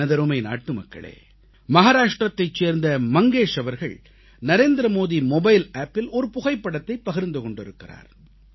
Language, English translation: Tamil, My dear countrymen, Shri Mangesh from Maharashtra has shared a photo on the Narendra Modi Mobile App